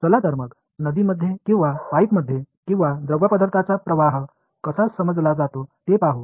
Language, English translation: Marathi, Let us say in water in a river or in a pipe or whatever how is fluid flow understood